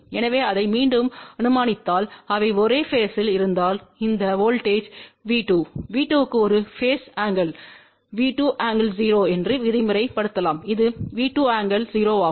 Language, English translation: Tamil, So, assuming that again if they are in the same phase so this voltage V2 let us say that V 2 has a phase angle V 2 angle 0 this is also V 2 angle 0